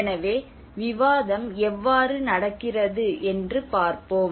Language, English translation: Tamil, So let us see how the discussion is going on